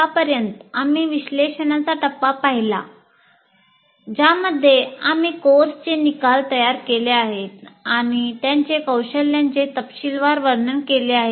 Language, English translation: Marathi, And in that we have till now seen the analysis phase in which we created the course outcomes and also elaborated them into competencies